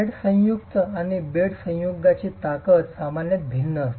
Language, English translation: Marathi, The strength of the head joint and the bed joint is typically different